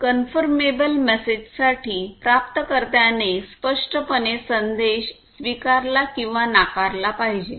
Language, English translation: Marathi, For confirmable type message, the recipient must exactly explicitly either acknowledge or reject the message